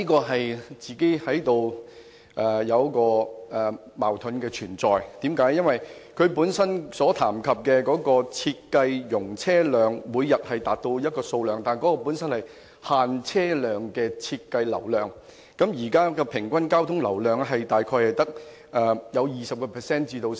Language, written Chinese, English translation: Cantonese, 可是，這說法存在矛盾，因為這裏談到的每日設計容車量是限制車量的設計流量，而現時平均交通流量大概只有 20% 至 50%。, However I find his remark contradictory because the daily design capacity mentioned here is designed for restricting the daily capacity but the current average traffic is between 20 % and 50 % only